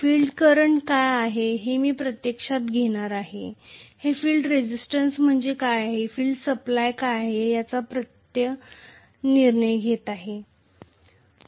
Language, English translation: Marathi, And I am going to have actually whatever is the field current that is decided by what is the field resistance and what is the field supply